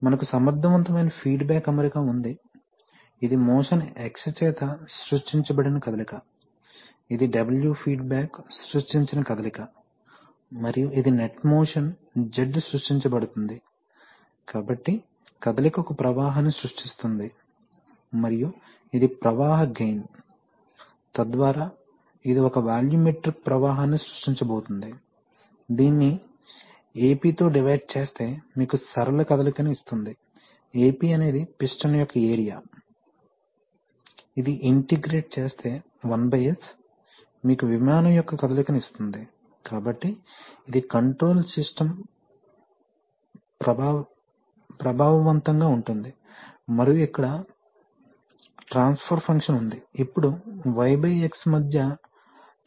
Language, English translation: Telugu, So you have, you have an effective feedback arrangement, where, what is coming, this is the motion created by the motion X, this is the motion created by the feedback W, and this is the net motion Z at any point of time, and that is going to create, so motion creates a flow and this is the flow gain, so that is going to create a volumetric metric flow, that divided Ap, will give you the linear motion Ap is the area of the piston, that integrated, 1 by S will give you the motion of the plane, so this is the control system that is effective and here is the transfer function, so the transfer function between, you can see that now that the transformation between Y by X is actually, in the, in the steady state ‘s’ is going to, go to 0, so it is going to be a+b/a, and it will act like a first order transfer function